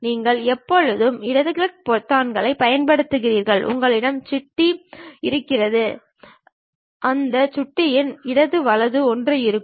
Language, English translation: Tamil, You always use left mouse button, something like if you have a mouse, in that mouse the right one, left one will be there